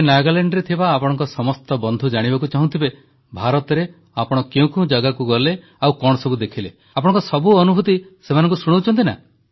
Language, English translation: Odia, So, all your friends in Nagaland must be eager to know about the various places in India, you visited, what all you saw